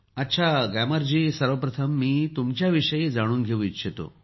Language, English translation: Marathi, Fine Gyamar ji, first of all I would like toknow about you